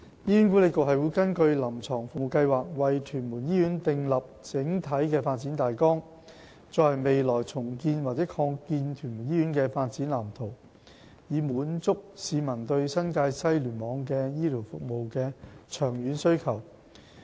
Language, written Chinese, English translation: Cantonese, 醫管局會根據"臨床服務計劃"，為屯門醫院訂立整體發展大綱，作為未來重建及擴建屯門醫院的發展藍圖，以滿足市民對新界西聯網的醫療服務的長遠需求。, HA will having regard to CSP formulate a master development plan for Tuen Mun Hospital which will form the blueprint for the future redevelopment or expansion of the Tuen Mun Hospital in order to meet the long - term health care needs in the NTW Cluster